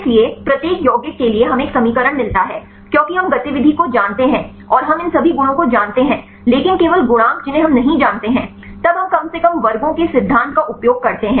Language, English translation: Hindi, So, for each compound we get one equation because we know the activity and we know all these properties, but only the coefficients we do not know; then we use principle of least squares